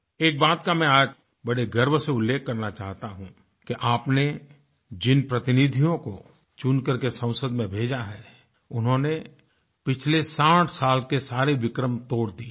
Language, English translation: Hindi, Today, I wish to proudly mention, that the parliamentarians that you have elected have broken all the records of the last 60 years